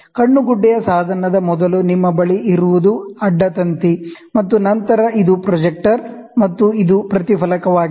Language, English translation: Kannada, In the eyepiece, what you have is the before the eyepiece, we have a cross wire, and then this is projector, and this is reflector